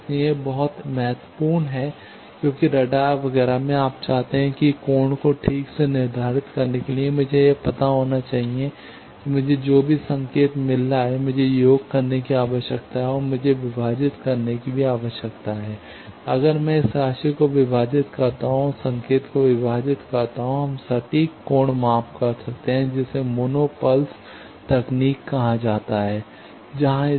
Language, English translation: Hindi, So, this is very important because in radars etcetera, you want to have that to determine the angle precisely I need to find out that whatever signal I am getting I need to sum and I need to divide and that if I divide this sum and divide signal, we get precise angle measurement that is called mono pulse technique there this rat race is used